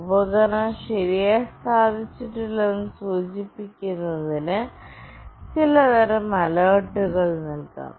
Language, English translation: Malayalam, Some kind of alert may be given to indicate that the device is not properly placed